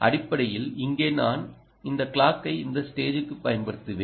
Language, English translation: Tamil, essentially here, i have applied this clock to this stage here